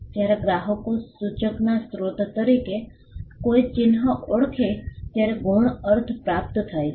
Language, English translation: Gujarati, Secondary meaning is acquired when the customers recognize a mark as a source of indicator